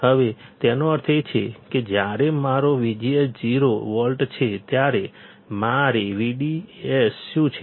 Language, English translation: Gujarati, Now; that means, that when my V G S is 0 volt, what is my V D S